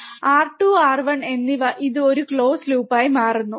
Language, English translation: Malayalam, R 2 and R 1 this forms a close loop